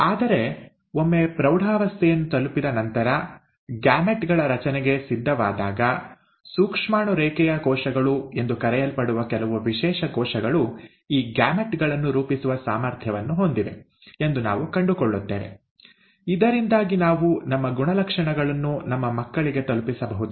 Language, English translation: Kannada, But, once one attains puberty and is now ready for formation of gametes, we find that certain specialized cells, called as the germ line cells, are capable of forming these gametes, so that we can pass on our characteristics to our children